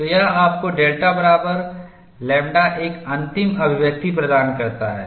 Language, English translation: Hindi, So, this gives you a final expression delta equal to lambda